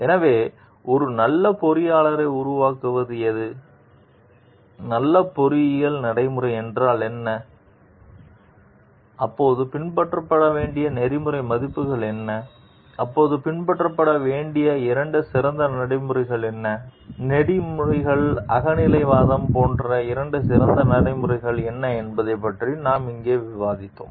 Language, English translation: Tamil, So, these are some of the like key questions that, we have discussed over here with respect to ethical conducts of engineers coming to what makes a good engineer, what is a good engineering practice, what are the ethical values to be followed then, what are the two best practices then, we have discussed about like ethical subjectivism, we have discussed about the three triggers present in the situation